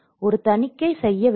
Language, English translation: Tamil, An audit has to be worked